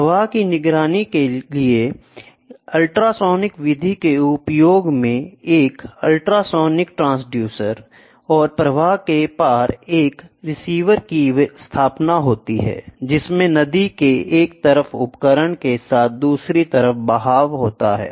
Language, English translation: Hindi, The use of ultrasonic method for flow monitoring this consists of setting up an ultrasonic transducer and a receiver across the flow with the equipment on one side of the river being downstream of that of the other side